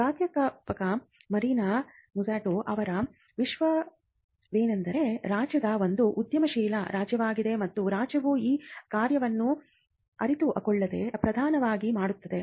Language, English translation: Kannada, Now, the theme of professor Mariana Mazzucatos research is that the state itself is an entrepreneurial state and the state predominantly does this function without many offices realizing it